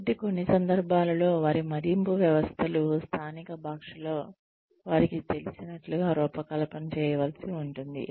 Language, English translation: Telugu, So, in some cases, their appraisal systems, may even need to be designed, in the local language, that they are familiar with